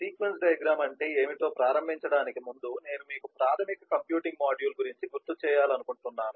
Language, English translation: Telugu, before we get started in terms of what is a sequence diagram, i would like to remind you of the basic computing module